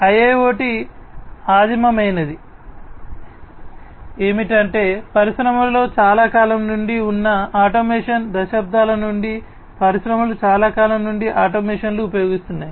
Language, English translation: Telugu, So, IIoT is primitive is that automation that has been there since long in the industry, since decades, it has been there industries have been using automation, since long